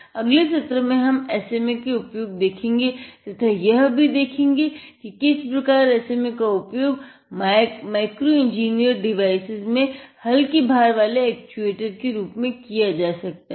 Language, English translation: Hindi, In the next session let us see a few experiment on how SMA can be used and replaced as a lightweight actuator in micro engineered devices